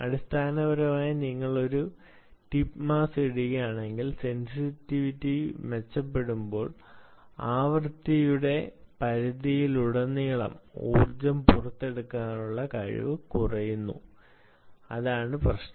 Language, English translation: Malayalam, essentially, if you put a tip mass, while sensitivity improves, its ability to extract energy across a range of frequencies reduces